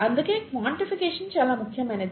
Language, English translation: Telugu, That’s why quantification becomes very important